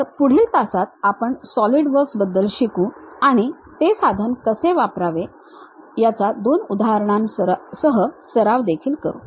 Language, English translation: Marathi, So, in the next class, we will learn about solid works and practice couple of examples how to use that tool